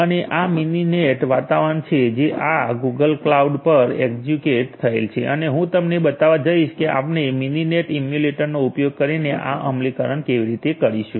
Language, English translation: Gujarati, And this is the Mininet environment which is executed over this Google cloud and I am going to show you how we are going to have this implementation done using Mininet emulator